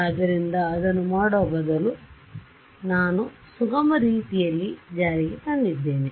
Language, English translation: Kannada, So, instead of doing that I implemented in a smooth way